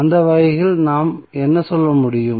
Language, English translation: Tamil, So, in that way what we can say